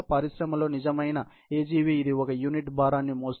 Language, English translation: Telugu, This is the real AGV in industry, which is carrying a unit load